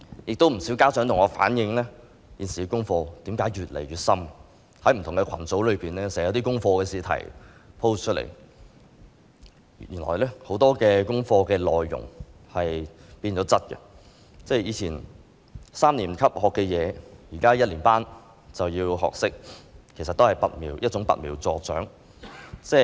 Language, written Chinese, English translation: Cantonese, 有不少家長向我反映，小朋友的功課越來越深，不同網上群組經常有功課試題貼出來，很多功課的內容已經變質，以前三年級學習的知識，現在一年級便要學懂，其實這也是揠苗助長。, Many parents have relayed to me that their children face increasingly difficult homework assignments which are often posted in various online groups . The contents of many homework assignments have been altered . Primary 1 students are now required to learn what Primary 3 students were previously required to learn